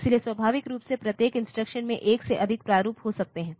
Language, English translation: Hindi, So, naturally each instruction may have more than one format